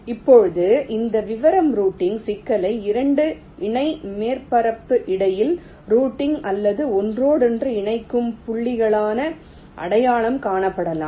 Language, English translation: Tamil, now this detail routing problem can be identified as routing or interconnecting points between two parallel surface